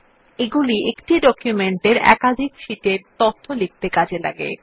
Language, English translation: Bengali, These can input information into multiple sheets of the same document